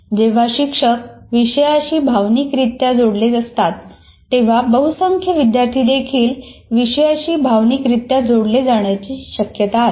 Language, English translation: Marathi, When the teacher is connected emotionally to the content, there is possibility, at least majority of the students also will get emotionally get connected to the content